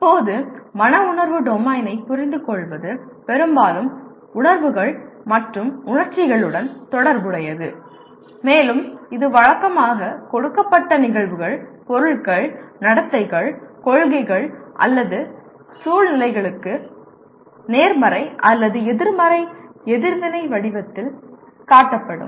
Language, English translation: Tamil, Now, to understand the affective domain is mostly associated with the feelings and emotions and it is usually displayed in the form of positive or negative reaction to given events, objects, behaviors, policies or situations